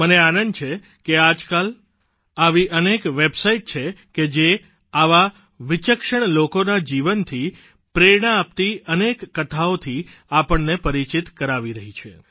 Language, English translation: Gujarati, I am glad to observe that these days, there are many websites apprising us of inspiring life stories of such remarkable gems